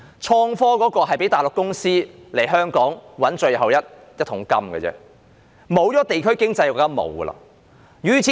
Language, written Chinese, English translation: Cantonese, 創科只是讓內地公司來港賺取最後一桶金，當地區經濟消失後，就甚麼也沒有了。, Innovation and technology only facilitate Mainland companies to reap the last bucket of money from Hong Kong . When district economy is gone we will be left with nothing